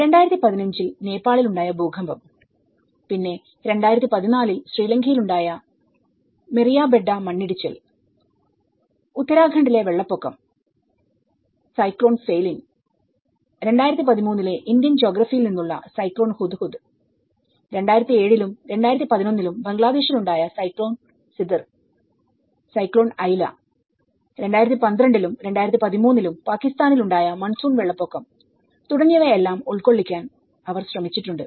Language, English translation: Malayalam, So, they have tried to cover the earthquake in Nepal in 2015 and the Meeriyabedda Landslide in Sri Lanka in 2014, the Uttarakhand Floods, Cyclone Phailin and Cyclone Hudhud from the Indian geography and which was in 2013, Cyclone Sidr and Aila in Bangladesh in 2007 and 2011 and the monsoon floods in Pakistan in 2012 and 2013